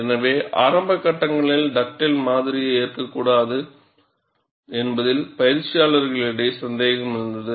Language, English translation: Tamil, So, there was skepticism among the practitioners, not to accept Dugdale model, in the initial stages